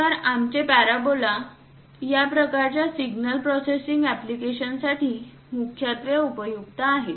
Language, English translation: Marathi, So, our parabolas are majorly useful for this kind of signal processing applications